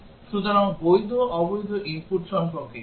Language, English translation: Bengali, So, what about the valid invalid input